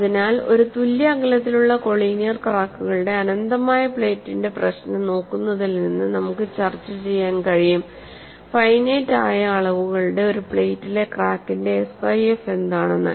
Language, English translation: Malayalam, So, from looking at a problem of infinite plate with a collinear evenly spaced cracks, we are able to discuss, what is the kind of SIF for a crack, in a plate of finite dimensions